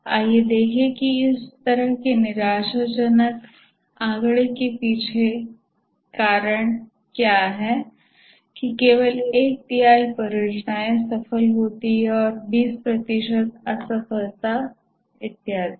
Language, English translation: Hindi, Let's see what is the reason behind such a dismal figure that only one third of the projects is successful and 20% are failure and so on